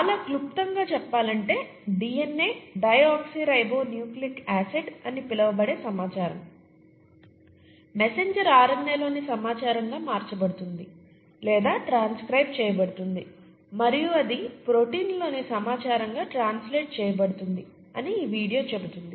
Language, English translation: Telugu, Very briefly speaking, this video will say that the information in something called the DNA, deoxyribonucleic acid, gets converted or transcribed to the information in the messenger RNA and that gets translated to the information in the proteins